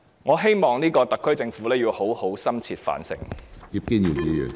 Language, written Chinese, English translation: Cantonese, 我希望特區政府好好深切反省。, I hope that the SAR Government will properly and deeply reflect on this